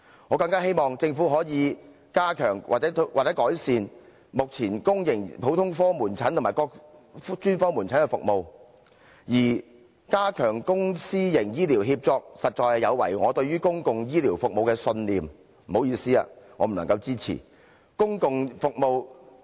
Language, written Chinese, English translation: Cantonese, 我更希望政府可以加強或改善目前公營普通科門診和各專科門診的服務，而加強公私營醫療協作，實在有違我對公共醫療服務的信念，所以，抱歉，我不能支持這一點。, It is also my aspiration for the Government to step up or enhance the services at general outpatient clinics and special outpatient clinics in the public sector so the enhancement of public - private partnership runs counter to my belief in public healthcare services . So sorry I cannot support this point